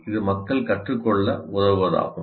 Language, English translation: Tamil, Is to help people learn